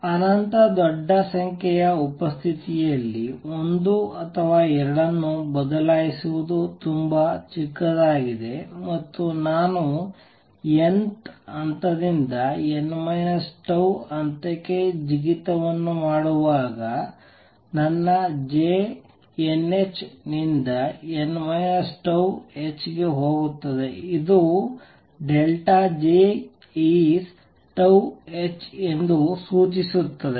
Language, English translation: Kannada, Change one or two in presence of an infinitely large number is very small, and when I making a jump from n th level to n minus tau level, my J goes from n h to n minus tau h which implies that delta J is tau h